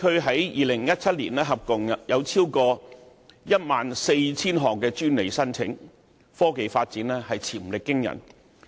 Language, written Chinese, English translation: Cantonese, 在2017年，杭州高新區共有超過 14,000 項專利申請，科技發展潛力驚人。, In 2017 enterprises in the Hangzhou Hi - tech Industry Development Zone made more than 14 000 patent applications evidencing the amazing technology potentials of the city